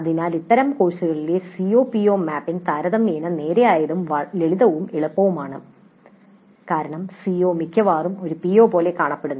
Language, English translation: Malayalam, Thus COPO mapping in such courses tends to be relatively straightforward, simple and easy because the CO almost looks like a PO